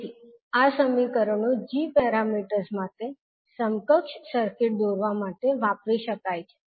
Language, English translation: Gujarati, So these equations can be used to draw the equivalent circuit for g parameters